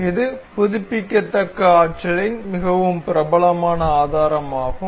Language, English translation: Tamil, This is a very popular source of renewable energy